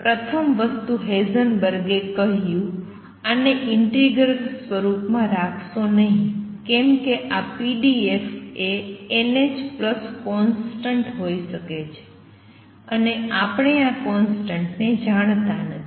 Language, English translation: Gujarati, The first thing Heisenberg said; do not keep this in integral form why because this pdx could be n h plus some constant and we do not know this constant